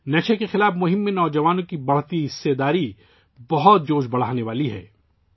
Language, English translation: Urdu, The increasing participation of youth in the campaign against drug abuse is very encouraging